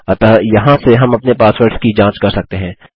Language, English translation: Hindi, So from here on we can check our passwords